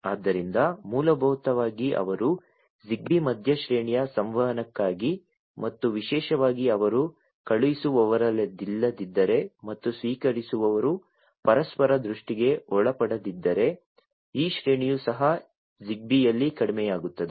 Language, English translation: Kannada, So, basically they Zigbee is for mid range communication and particularly if they are not the sender and the receiver are not within the line of sight of each other then even this range reduces in Zigbee